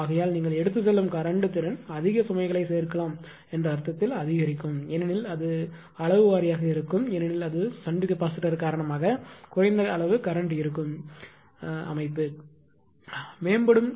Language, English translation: Tamil, Therefore, is current you are carrying capability will increase ah in in the sense that you can add more load right because of these because it will magnitude wise it will do a less amount of current because of the shunt capacitor right